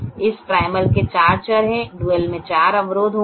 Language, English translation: Hindi, the primal has two constraints and the duel will have two variables